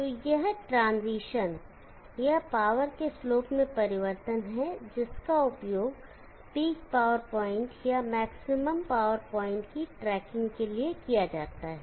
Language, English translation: Hindi, So this transition this is change in the slope of the power is used for tracking the peak power point or the maximum power point